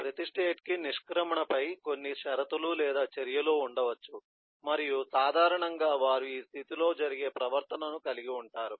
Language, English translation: Telugu, every state may have some entry, every state may have certain conditions or actions on exit and typically they will have a behavior that happens in this state